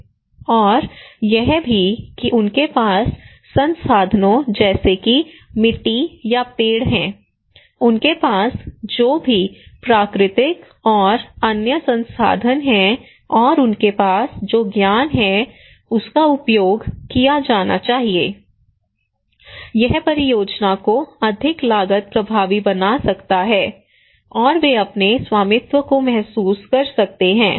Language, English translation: Hindi, And also the resources like they have sands muds these should be or trees whatever natural and other resources they have and knowledge they have that should be used it could be all makes the project more cost effective, and they can feel their ownership, and also there should be some resource available okay